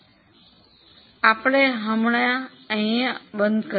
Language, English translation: Gujarati, So, with this we'll stop here